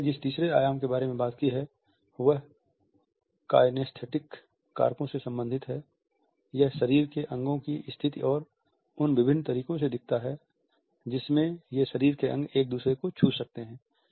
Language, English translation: Hindi, The third dimension he has talked about is related with the kinesthetic factors, it looks at the positioning of body parts and different ways in which these body parts can touch each other